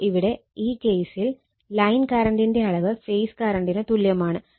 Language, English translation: Malayalam, So, in this case, so it is line current magnitude is equal to your write as a phase current here